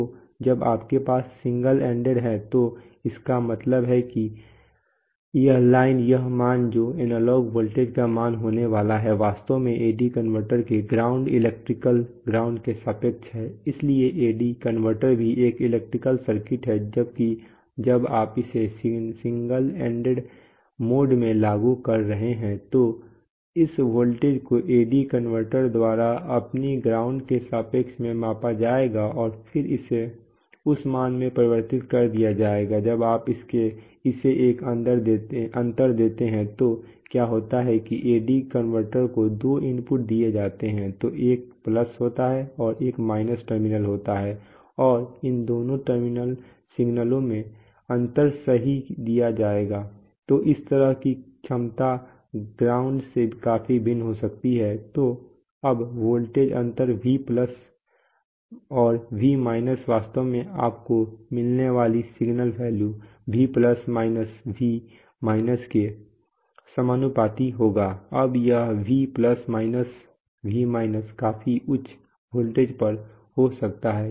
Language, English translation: Hindi, So when you have single ended it means that, this line this value that is going to be the value of the analog voltage is actually with respect to the ground electrical ground of the AD converter, so the AD converter is also an electrical circuit that has a ground, so when you are applying it in a single ended mode this voltage will be measured by the AD converter with respect to its own ground and then convert it that value, on the other hand when you when you give it a differential input then what happens is that there are two inputs provided to the AD converter, so there is a plus and there is a minus terminal and the difference in these two signals are provided right, so this so this the potential of this can be quite different from the ground, so now the voltage difference V Plus and V minus actually the signal value that you will get will be proportional to V plus minus V minus now this v plus v minus can be at pretty high voltages